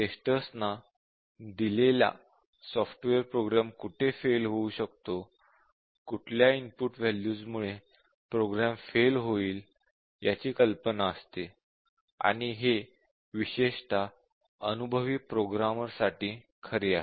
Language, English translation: Marathi, We say that tester has some hunch given a software, he has hunch as to where the program might fail which input values may make the program fail and that is especially true for very experienced programmers